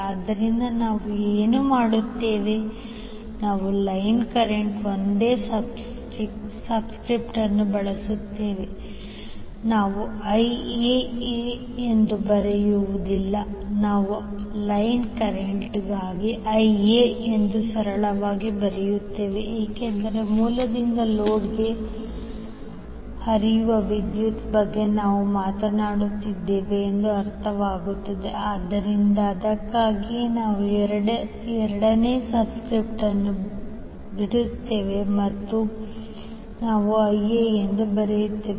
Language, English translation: Kannada, So what we will do we will use single subscript for line current we will not write as IAA we will simply write as IA for the line current because it is understood that we are talking about the current which is flowing from source to load, so that is why we drop the second subscript and we simply write as IA